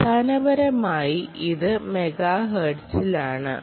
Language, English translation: Malayalam, basically it is in megahertz